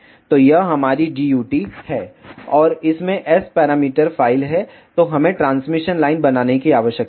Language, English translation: Hindi, So, this is our DUT, and it contains the S parameter file then we need to make the transmission line